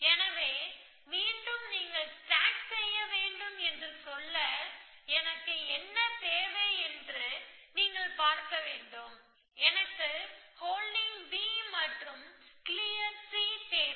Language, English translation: Tamil, So, again to repeat you want stack, you want to see what do I need, I need holding B, of course I need clear C and that is what it is